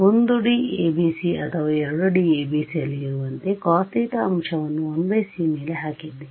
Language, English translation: Kannada, Like in the 1D ABC or 2D ABC we have putting a cos theta factor over the 1 by c